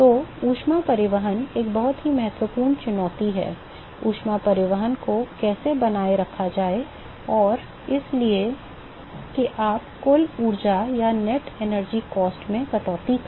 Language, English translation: Hindi, So, heat transport is a very important challenge, how to maintain the heat transport and so, that you cut down the net energy cost